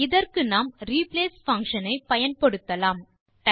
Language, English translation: Tamil, We will use the replace function to accomplish this